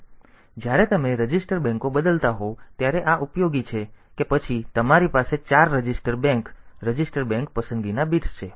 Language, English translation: Gujarati, So, these are useful when you are changing the register banks that then you have four register bank register bank select bits are there